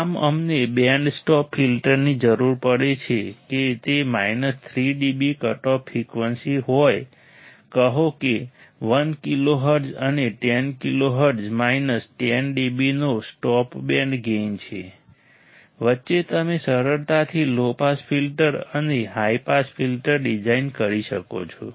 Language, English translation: Gujarati, Thus we require a band stop filter to have it is minus 3 dB cutoff frequency say 1 kilo hertz and 10 kilo hertz a stop band gain of minus 10 d B, in between, you can easily design a low pass filter and a high pass filter, with this frequency requirements, and simply cascade them together to form a wide band pass filter design